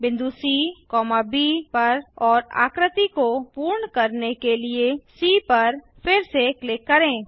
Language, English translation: Hindi, Click on the points B C F and B once again to complete the figure